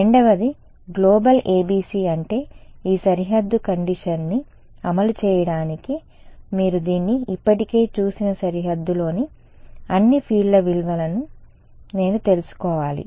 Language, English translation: Telugu, The second is a global ABC which means that to implement this boundary condition, I need to know the value of all the fields on the boundary actually you have already seen this